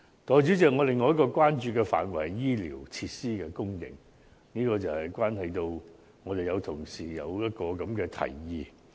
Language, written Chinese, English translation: Cantonese, 代理主席，另一個我關注的範疇是醫療設施的供應，這與一位同事所提出的建議有關。, Deputy President another area of concern to me is the supply of medical facilities which is related to a proposal put forward by an Honourable colleague